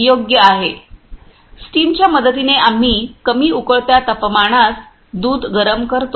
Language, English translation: Marathi, With the help of steam we heat the milk at the lower boiling temperature